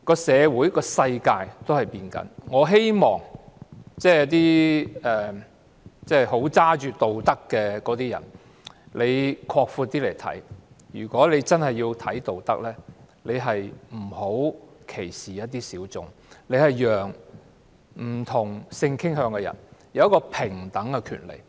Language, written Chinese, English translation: Cantonese, 社會和世界正在改變，我希望高舉道德旗幟的人更擴闊眼光來看，如果他真的重視道德，便不要歧視一些小眾，要讓不同性傾向的人有平等的權利。, Our society and the world are changing . I hope that those who hold high the banner of morality will broaden their horizons . If they really value morality they should not discriminate against some minorities but instead let people of different sexual orientations enjoy equal rights